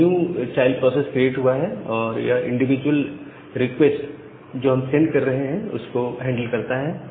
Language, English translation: Hindi, A new child process gets created and it handles this individual request that we are sending here